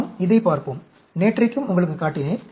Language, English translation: Tamil, Let us look at this, I showed you yesterday also